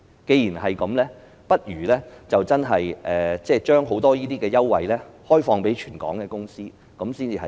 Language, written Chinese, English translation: Cantonese, 既然如此，不如把許多優惠開放予全港的公司，較為合理。, Such being the case it would be more reasonable to provide the many concessions to all companies in Hong Kong